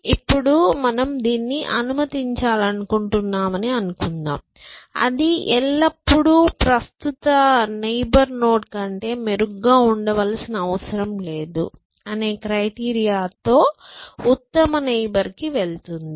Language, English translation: Telugu, Now, supposing we wanted to allow this, that always go to the best neighbor, which the criteria that you it does not have to be better than the current node